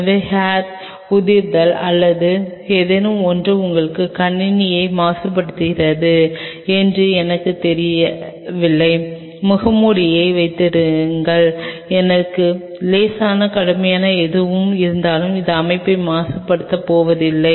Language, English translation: Tamil, So, that there is hair fall or something it is not going to you know contaminate the system, have the mask even if I have a mild cougher anything it is not going to contaminate system